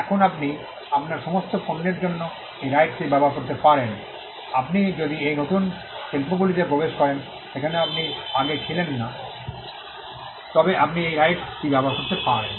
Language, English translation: Bengali, Now you could use this right for all your products, you could use this right for if you enter new industries in which you were not there before